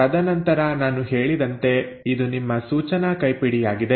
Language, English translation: Kannada, And then, this is like what I said is your instruction manual